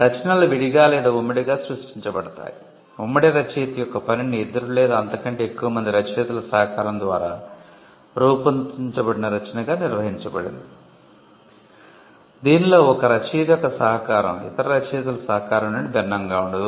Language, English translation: Telugu, Works can be either created separately or jointly, a work of joint authorship is defined as a work produced by the collaboration of two or more authors, in which the contribution of one author is not distinct from the contribution of other authors